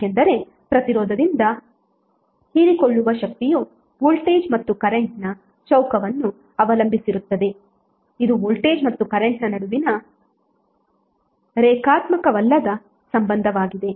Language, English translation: Kannada, Because power absorb by resistant depend on square of the voltage and current which is nonlinear relationship between voltage and current